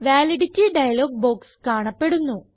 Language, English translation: Malayalam, The Validity dialog box appears